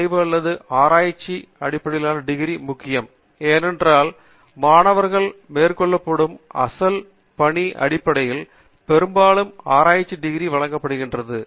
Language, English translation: Tamil, thesis or a research based degree is important, because very often the research degrees are given based upon original work that is done by the student